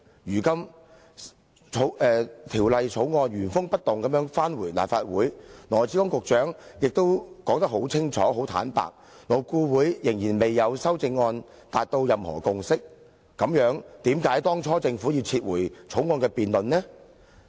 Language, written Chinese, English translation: Cantonese, 如今《條例草案》原封不動交回立法會，而羅致光局長又很清楚表示，勞顧會仍然未就修正案達至任何共識，那為何當初政府要把原訂進行辯論的《條例草案》撤回？, However the Government has now resubmitted the Bill in its original form to the Legislative Council and Secretary Dr LAW Chi - kwong also stated very clearly that LAB had not reached any consensus on the amendments . So why did the Government withdraw the Bill which was scheduled for debate in the first place? . Obviously the Government had a skeleton in its closet